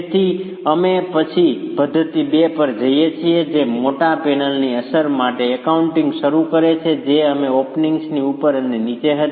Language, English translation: Gujarati, So, we then go to method two which starts accounting for the effect of the large panel that we had above and below the openings